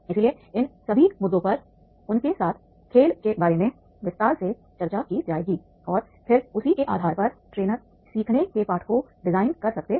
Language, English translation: Hindi, So all these issues will be discussed with them evaluating the game and then on basis of that the trainer can design the lessons of learning